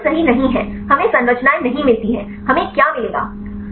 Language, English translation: Hindi, No we do not get right we do not get the structures what will we get